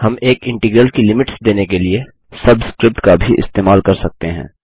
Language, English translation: Hindi, We can also use the subscript mark up to specify Limits of an integral